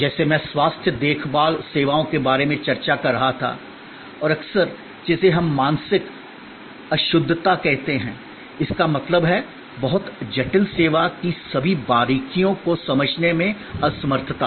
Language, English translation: Hindi, Like I were discussing about health care services and often what we call mental impalpability; that means, the inability to understand all the nuances of a very complex service